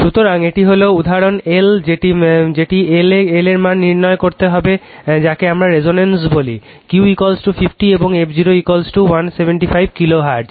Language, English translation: Bengali, So, this is example L that you have to determine the value of L for your what we call for resonance if Q is equal to 50 right and f 0 is equal to 175 kilo hertz